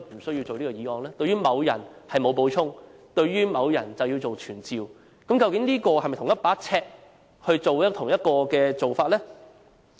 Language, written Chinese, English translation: Cantonese, 對於某人沒有補充，對於別個某人卻要傳召，究竟是否出於同一把尺的同一個做法？, While he has nothing to add on a certain persons UBWs he has to summon another person to this Council is this a consistent approach by adopting the same yardstick?